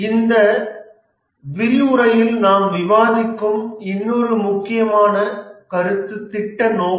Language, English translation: Tamil, The other important concept that we will discuss in this lecture is the project scope